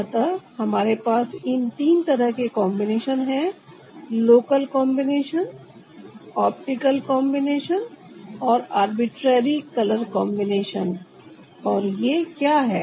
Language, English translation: Hindi, so we have combinations of this, three kinds: local combinations, optical combinations and arbitrary color combination